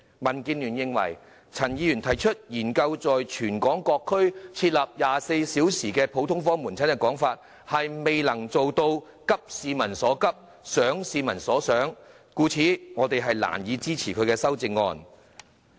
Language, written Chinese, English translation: Cantonese, 民建聯認為，陳議員提出"研究在全港各區設立24小時普通科門診服務"，未能做到急市民所急，想市民所想，故此我們難以支持他的修正案。, DAB considers that the proposal put forward by Dr CHAN to study the introduction of 24 - hour general outpatient services in various districts in Hong Kong fails to think what people think and address peoples pressing needs . Such being the case we can hardly support his amendment